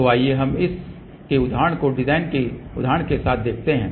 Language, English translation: Hindi, So, let us see the realization of this with the design example